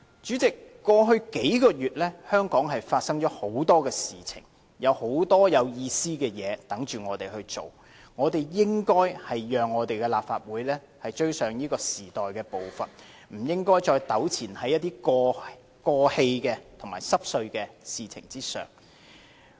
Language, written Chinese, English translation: Cantonese, 主席，過去數個月，香港發生了很多事情，有很多有意義的事在等候我們做，我們應該讓立法會追上時代的步伐，不應該再糾纏在過氣和瑣碎的事情上。, President many things happened in Hong Kong over the past few months and there are a host of meaningful things are awaiting us . We should let the Council catch up with the times and should not dwell on something outdated and trivial